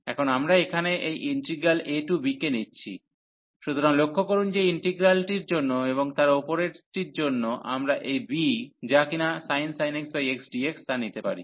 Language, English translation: Bengali, So, now we take this integral here a to b, so note that the integral one and then above one we can take this b is sin x over x dx